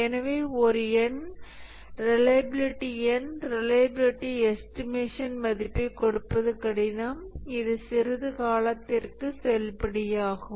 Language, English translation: Tamil, So it becomes difficult to give a number reliability number reliability value which can remain valid for some time